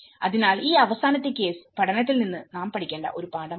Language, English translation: Malayalam, So, this is one lesson which we need to learn from this last case study